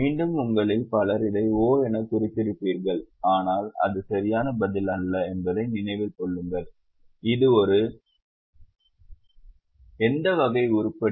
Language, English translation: Tamil, Again, many of you would have marked it as O but keep in mind that is not the correct answer